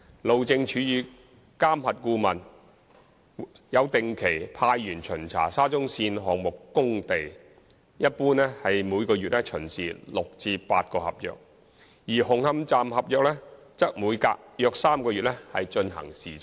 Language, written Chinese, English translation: Cantonese, 路政署與監核顧問有定期派員巡查沙中線項目工地，一般每月巡視6至8個合約，而紅磡站合約則每隔約3個月進行視察。, HyD and MV consultant visit the sites of SCL regularly . In general about six to eight works contracts are visited in a month and the works contract of Hung Hom Station is visited about once in every three months